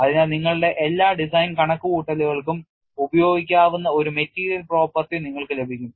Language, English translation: Malayalam, So, that you get a material property which could be use for all your design calculations